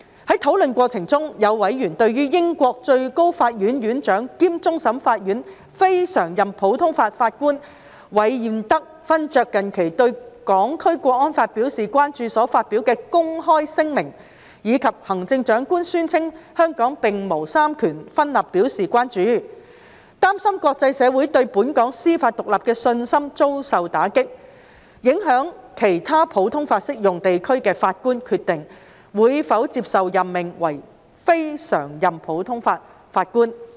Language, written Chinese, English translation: Cantonese, 在討論過程中，有委員對於英國最高法院院長兼終審法院非常任普通法法官韋彥德勳爵近期對《香港國安法》表達關注所發表的公開聲明，以及行政長官宣稱香港並無三權分立表示關注，擔心國際社會對本港司法獨立的信心遭受打擊，影響其他普通法適用地區的法官決定會否接受任命為非常任普通法法官。, In the course of discussion as regards a public statement recently made by the Right Honourable Lord REED of Allermuir President of the Supreme Court of UK and a CLNPJ of CFA expressing concerns about the National Security Law and the Chief Executives remark that there was no separation of powers in Hong Kong some members have expressed concerns that the international communitys confidence in Hong Kongs judicial independence will be undermined and will affect the decision of judges in other common law jurisdictions to accept appointment as CLNPJs